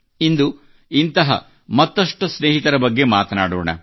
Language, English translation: Kannada, Today also, we'll talk about some of these friends